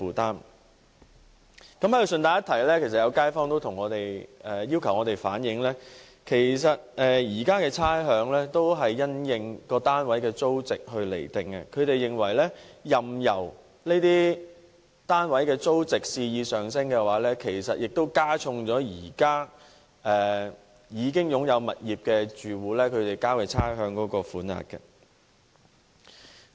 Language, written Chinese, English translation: Cantonese, 在這裏順帶一提，有街坊要求我們反映，現時的差餉是因應單位的租值釐定，任由這些單位的租值肆意上升，亦會加重現時已擁有物業的住戶所繳交的差餉。, In passing I would like to reflect as requested the views of some people in the community . As rates are now set on the basis of the rental value of a flat if the rent can increase arbitrarily it will also increase the rates to be paid by households which own a property